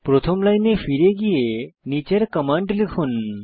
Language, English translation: Bengali, Go back to the first line and type the following command